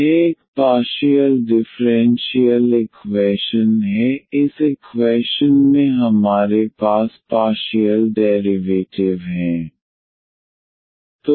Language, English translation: Hindi, This is a partial differential equation; we have the partial derivatives in this equation